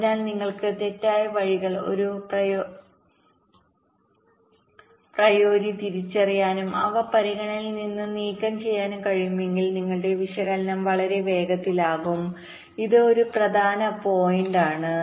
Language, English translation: Malayalam, so if you can identify the false paths a priori and remove them from a consideration, then your analysis can become much faster